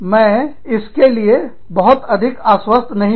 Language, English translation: Hindi, I am not very sure of this